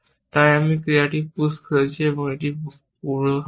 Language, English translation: Bengali, So, I have pushed this action and it is preconditions